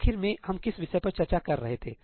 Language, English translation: Hindi, What is the last thing we were discussing